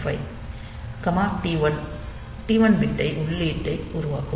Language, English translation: Tamil, 5 will make this T 1 bit input